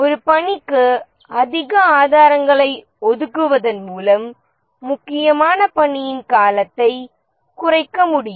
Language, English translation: Tamil, By assigning more resources to a task, the duration of the critical task can be reduced